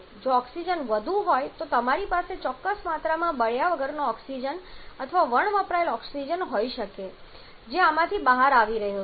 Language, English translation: Gujarati, If oxygen is more you may have certain quantity of unburned oxygen or unused oxygen that is coming out of this